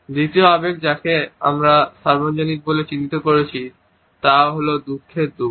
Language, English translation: Bengali, The second emotion which they have identified as being universal is that of sadness of sorrow